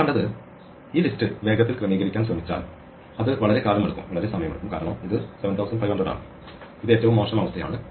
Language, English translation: Malayalam, And what we saw was that, if we try to quick sort this list it takes a long time because it is 7500 and it is a worst case in